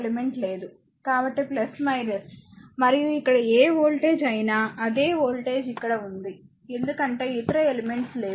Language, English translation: Telugu, So, plus minus and so, whatever voltage is here same voltage is here because no other element